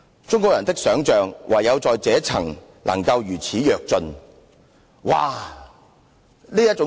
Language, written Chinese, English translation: Cantonese, 中國人的想象唯在這一層能夠如此躍進。, This is the sole respect in which the imagination of Chinese people takes such a great leap